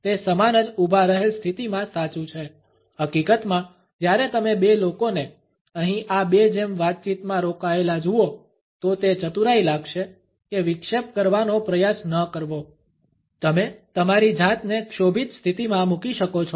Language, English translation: Gujarati, The same holds true in a standing position; in fact, when you see two people engaged in a conversation like these two here; it would be wise not to try to interrupt, you may end up embarrassing yourself